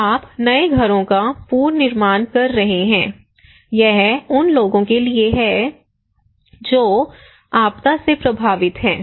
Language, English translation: Hindi, You are reconstructing new houses it is for the people who are affected by a disaster